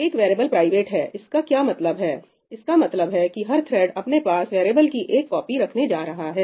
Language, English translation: Hindi, What does it mean for a variable to be private It means that every thread is going to have its own copy of that variable